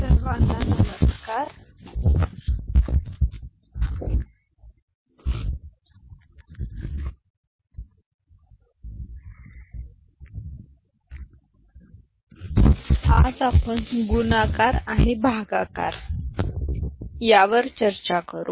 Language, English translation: Marathi, Hello everybody, today we discuss Multiplication and Division